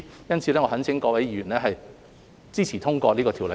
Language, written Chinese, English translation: Cantonese, 因此，我懇請各位議員支持及通過《條例草案》。, For this reason I urge Honourable Members to support and pass the Bill